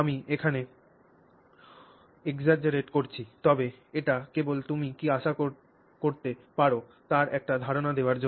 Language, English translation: Bengali, I am exaggerating here but this is just to give us an idea of what you can expect